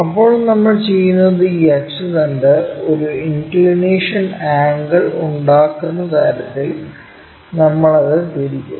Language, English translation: Malayalam, Then, what we will do is we will rotate it in such a way that this axis may an inclination angle perhaps in that way